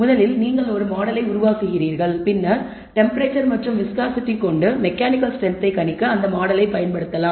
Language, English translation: Tamil, First you develop a model then you can use the model to predict mechanical strength given temperature viscosity